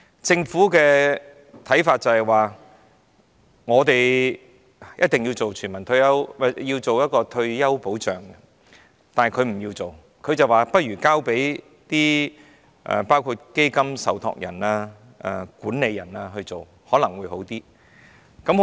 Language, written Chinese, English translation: Cantonese, 政府的看法是，必須推行退休保障，但他們不做，提議交由基金受託人和管理人等來做，可能會較好。, The Governments view was that retirement protection must be implemented but they did not want to do this work and suggested that it would probably be better if the job were handed over to fund trustees and managers